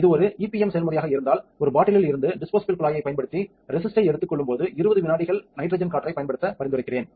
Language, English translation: Tamil, If its a EPM process I would recommend to use 20 seconds of nitrogen air, when taking resist from a bottle use the disposable pipette